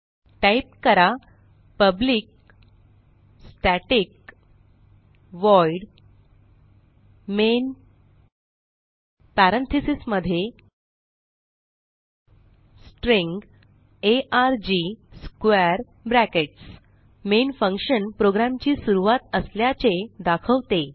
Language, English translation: Marathi, So type: public static void main parentheses inside parentheses String arg Square brackets Main functions marks the starting point of the program